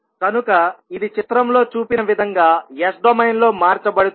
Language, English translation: Telugu, So it will be converted in S domain as shown in the figure